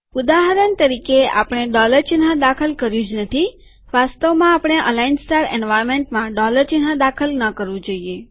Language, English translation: Gujarati, As a matter of fact, we should not enter the dollar sign within the aligned star environment